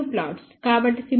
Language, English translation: Telugu, So, simulated gain is 10